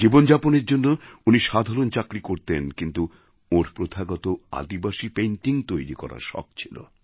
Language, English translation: Bengali, He was employed in a small job for eking out his living, but he was also fond of painting in the traditional tribal art form